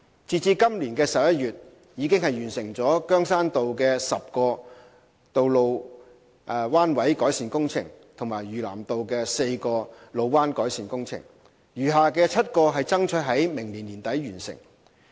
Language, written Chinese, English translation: Cantonese, 截至今年11月，已完成羗山道的10個路彎改善工程及嶼南道的4個路彎改善工程，餘下的7個爭取於明年年底完成。, As at November this year HyD has completed 10 road bend improvement projects on Keung Shan Road and four such projects on South Lantau Road while striving to complete the seven remaining ones for completion by the end of next year